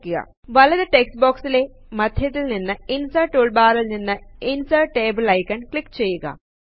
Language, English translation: Malayalam, In the right side text box click on the icon Insert Table from the Insert toolbar in the centre